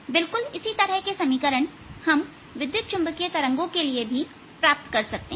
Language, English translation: Hindi, exactly similar equations are now going to be obtained for ah electromagnetic waves